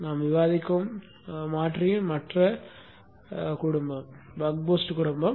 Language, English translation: Tamil, The other family of converter that we will discuss is the Buck Boost family